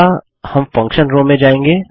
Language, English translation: Hindi, Next, we will go to the Function row